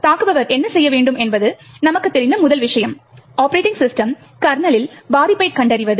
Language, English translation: Tamil, So, the first thing as we know the attacker should be doing is to find a vulnerability in the operating system kernel